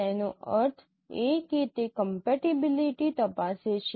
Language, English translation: Gujarati, That means it checks the compatibility